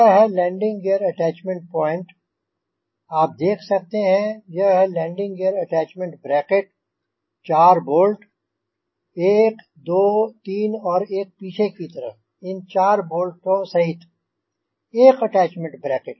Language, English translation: Hindi, this is the landing gear attachment bracket, the four bolts: one, two, three and one on the backside, four, these four bolts plus one attachment here